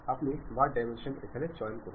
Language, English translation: Bengali, Now, you want to use smart dimension